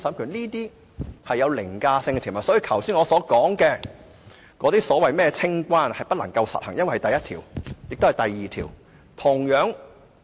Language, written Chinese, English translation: Cantonese, 這些都是具凌駕性的條文，所以我剛才說的清關安排其實不可以實行，因為有第一條和第二條的規定。, Given that Articles 1 and 2 are overriding provisions the clearance arrangements mentioned by me just now can actually not be implemented